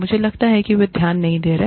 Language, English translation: Hindi, I think, they are not paying attention